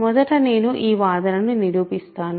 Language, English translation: Telugu, So, first I will prove this claim